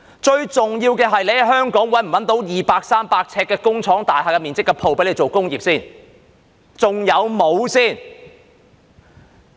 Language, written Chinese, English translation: Cantonese, 最重要的是，在香港能否找到二三百呎面積的工廠大廈鋪位做工業。, The most important thing is whether it is possible to find a unit with 200 to 300 sq ft of floor space in an industrial building for industrial use in Hong Kong